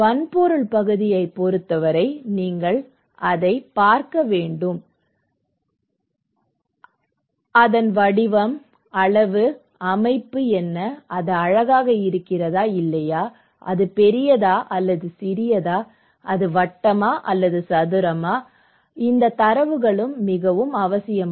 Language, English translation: Tamil, For hardware part, you need to watch it, what is the shape, size, structure, is it beautiful or not, is it big or small, okay is it round or square so, these are also very necessary